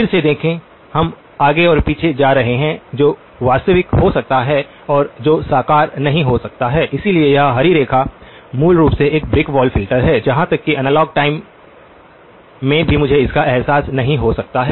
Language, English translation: Hindi, See the, again we are going back and forth between what can be realizable and what can be not realizable, so this green line, basically a brick wall filter, even in the analog time I cannot realize it